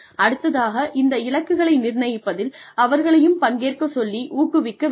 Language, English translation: Tamil, And, encourage their participation, in setting of these goals